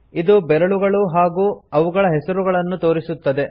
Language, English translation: Kannada, It displays the fingers and their names